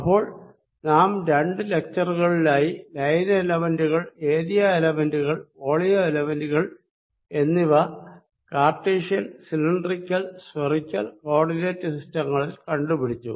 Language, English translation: Malayalam, so we have derived in the two lectures the line elements, area elements and volume elements in cartesian cylindrical and spherical coordinate systems